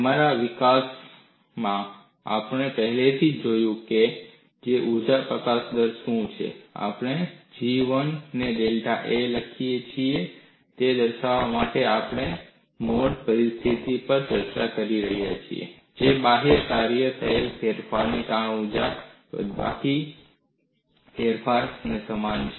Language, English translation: Gujarati, Since in our development, we have already looked at what is energy released rate, we could write G 1 into delta A to denote that we are discussing the mode 1 situation; that is equivalent to change in external work done minus change in strain energy